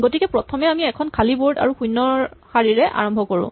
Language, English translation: Assamese, So, we would initially start with an empty board and with row 0